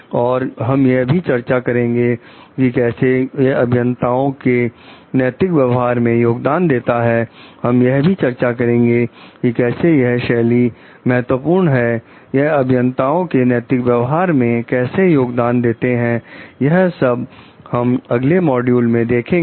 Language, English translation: Hindi, And we will discuss also how this contributes to the ethical conduct for the engineers, we will discuss how why these styles are important and how it contributes to the ethical conduct of engineers in the next module